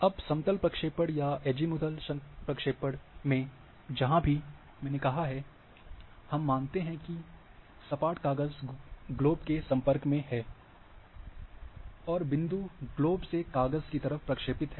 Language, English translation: Hindi, Now planar projection or Azimuthal projections, whereas I have said that we assume a flat sheet is located in contact with the globe, and points are projected from globe to the sheet